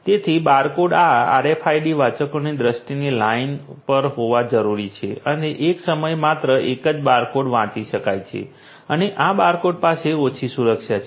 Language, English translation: Gujarati, So, barcodes need to be on the line of sight of these RFID readers and only one barcode at a time can be read and these barcodes have less security and hence can be forced